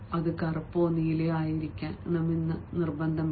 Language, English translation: Malayalam, it should be black or blue, not red, you know, not red